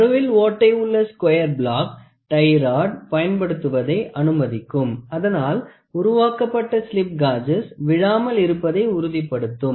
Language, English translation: Tamil, The square block with center hole permits the use of tie rods, which ensures the built up slip gauges do not fall apart